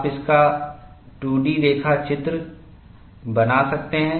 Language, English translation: Hindi, You can make a 2 D sketch of this